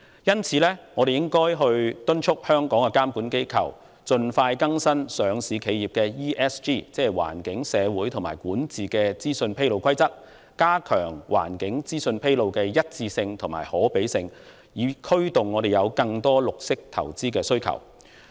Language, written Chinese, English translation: Cantonese, 因此，我們應催促香港的監管機構盡快更新上市企業的環境、社會及管治資訊披露規則，加強環境資訊披露的一致性和可比較性，以刺激市場對綠色投資的需求。, Therefore we should urge Hong Kongs regulators to expeditiously update the rules for disclosure of environmental social and governance ESG information by publicly listed enterprises and enhance the consistency and comparability of ESG information disclosures to spur the market demand for green investment